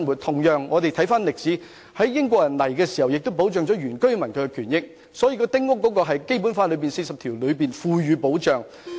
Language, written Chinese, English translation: Cantonese, 同樣，在英國管治時期，亦對原居民的權益作出保障，《基本法》第四十條亦賦予保障。, During the British rule the rights and interests of indigenous villagers were likewise protected; such protection has also been conferred by Article 40 of the Basic Law